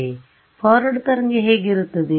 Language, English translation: Kannada, So, what is the forward wave look like